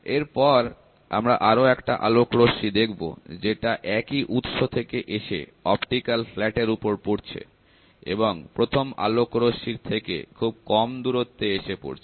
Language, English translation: Bengali, Next consider an another light ray from the same source falls on the optical flat at a mall distance from the first one